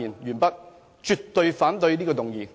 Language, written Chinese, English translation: Cantonese, 我絕對反對這項議案。, I adamantly object this motion